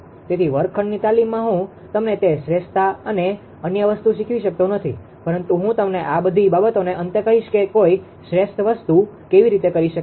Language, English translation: Gujarati, So, ah in the class room exercise I cannot teach you that optimality and other thing but I will tell you at the end of all this thing that how one can do a optimal thing